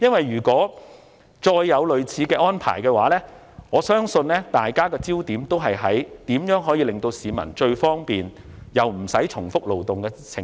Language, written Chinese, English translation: Cantonese, 如果再有類似的安排，我相信大家的焦點仍是在於如何能更方便市民，無需要他們做重複的動作。, If a similar arrangement is to be made I believe that our focus will remain on how to make things easier for the general public so that people do not have to repeat what they have done